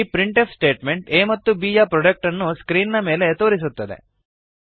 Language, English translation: Kannada, This printf statement displays the product of a and b on the screen